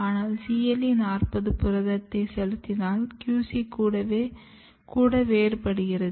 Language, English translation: Tamil, But when you treat with CLE40 proteins even the QC got differentiated